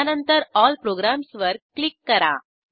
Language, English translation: Marathi, Then click on All programs